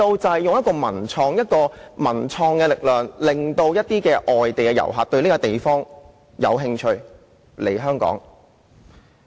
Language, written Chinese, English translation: Cantonese, 他們就以文創的力量，引發外地遊客對當地的興趣。, The Koreans use their cultural and creative power to induce tourists interest in their country